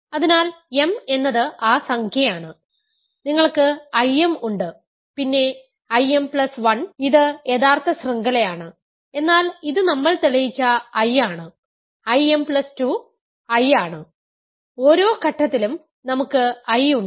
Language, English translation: Malayalam, So, m is that number, you have I m then I m plus 1 and this is the original chain, but this we have just proved is I, this we have proved is I, I m plus 2 is I, at every stage we have I